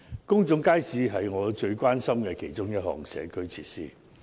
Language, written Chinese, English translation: Cantonese, 公眾街市是我最關心的其中一項社區設施。, Public markets are one of the community facilities which are of prime concern to me